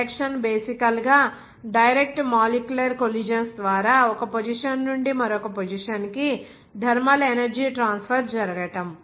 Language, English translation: Telugu, Conduction is basically thermally energy transfer from one position to another position by direct molecular collisions